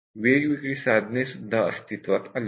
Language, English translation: Marathi, And also lot of tools has come up